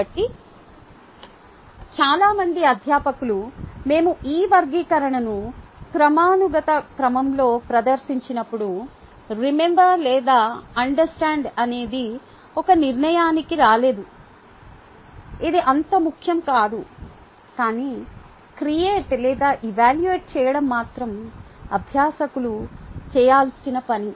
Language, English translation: Telugu, so many faculty, when we present this taxonomy in the hierarchical order, ah, come to the conclusion that remember or understand is not a, its not very important, but create or evaluate is the only thing that learners are supposed to do